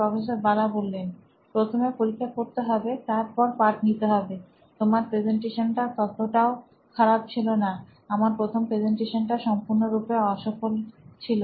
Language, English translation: Bengali, The test first and the lesson the next, you are presentation wasn’t so bad, my first presentation was a complete disaster